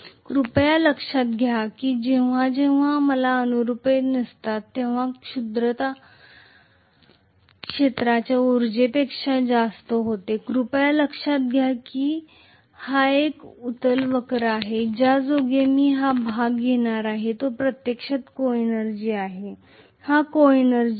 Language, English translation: Marathi, Please note that whenever I am having non linearity the coenergy is happens to be greater than the field energy, please note that this is kind of a convex curve so I am going to have this portion which is actually the coenergy, this coenergy